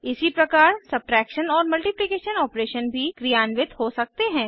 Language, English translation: Hindi, Similarly the subtraction and multiplication operations can be performed